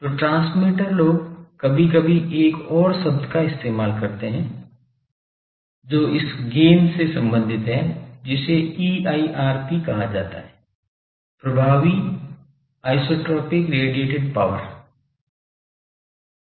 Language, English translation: Hindi, So, the transmitter people sometimes use another term which is related to this gain that is called EIRP; effective isotropic radiated power EIRP